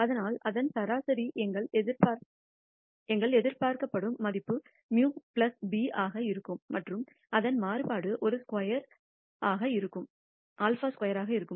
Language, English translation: Tamil, But its mean will be our expected value will be a mu plus b and its variance would be a squared sigma square